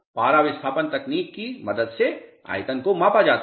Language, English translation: Hindi, Volumes to be measured with the help of mercury displacement technique